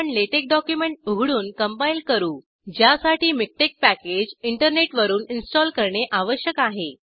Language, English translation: Marathi, We will open and compile a LaTeX document, which requires MikTeX to install packages from the internet